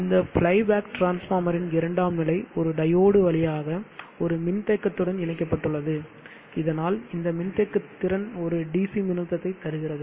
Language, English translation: Tamil, The secondary of this fly back transformer is connected through a diode to a capacitance, so that you get a DC voltage across this capacitance